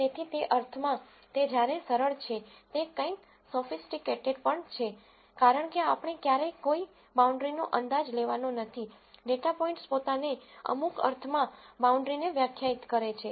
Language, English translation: Gujarati, So, in that sense, its, while it is simple it is also in something sophisticated, because we never have to guess a boundary, the data points themselves define a boundary in some sense